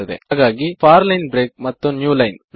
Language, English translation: Kannada, So for line break and then New line